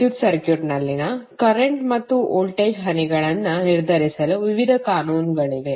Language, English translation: Kannada, There are various laws which are used to determine the currents and voltage drops in the electrical circuit